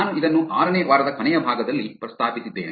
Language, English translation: Kannada, I also mentioned this in the last part of the week 6